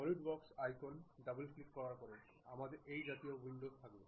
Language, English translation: Bengali, After double clicking the Solidworks icon, we will have this kind of window